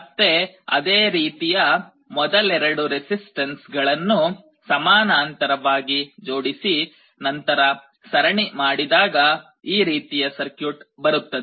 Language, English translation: Kannada, Again similarly the first 2 resistances here, you can connect in parallel and then do a series you get an equivalent circuit like this